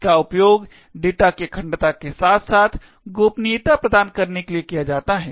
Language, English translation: Hindi, It is used to provide both privacy as well as data integrity